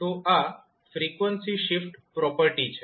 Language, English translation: Gujarati, So, this is nothing but frequency shift property